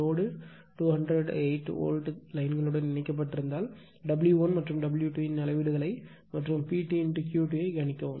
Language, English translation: Tamil, If the load is connected to 208 volt, a 208 volt lines, predict the readings of W 1 and W 2 also find P T and Q T right